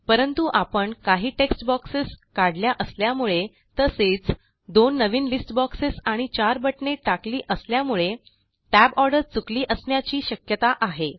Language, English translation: Marathi, But since we removed a couple of text boxes, and added two new list boxes and four buttons, we may have mixed up the tab order